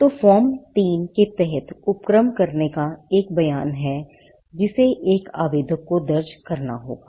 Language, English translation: Hindi, So, there is a statement of undertaking under Form 3 which an applicant has to file